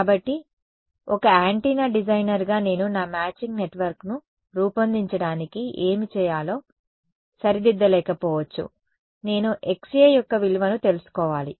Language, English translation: Telugu, So, as an antenna designer I am may not fix what I have to make my matching network, I need to know the value of Xa right